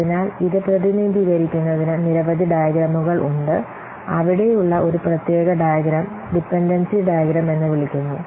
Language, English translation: Malayalam, So one particular diagram is there called as the dependency diagrams